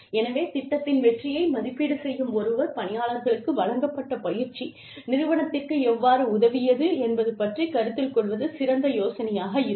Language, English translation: Tamil, So, anybody, who is evaluating the success of the program, will have a better idea of, how the training, that has been imparted to the employees, has helped the organization